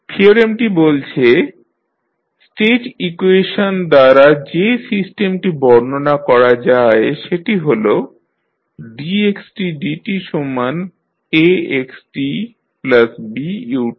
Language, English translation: Bengali, Theorem says that for the system described by the state equation that is dx by dt is equal to Ax plus Bu